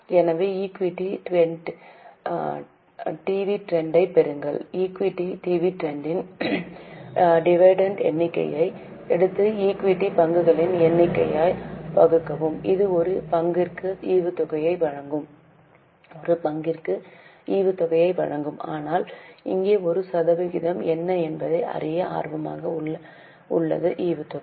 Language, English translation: Tamil, Take the figure of equity dividend and divide it by the number of equity shares that will give you dividend per share the way we had got earning per share but here it is of interest to know what is a percentage of dividend so we should calculate it by the total amount of capital